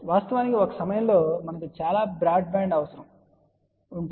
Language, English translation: Telugu, In fact, at one time, we had a one very broad band requirement